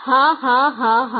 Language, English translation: Bengali, Ha ha ha ha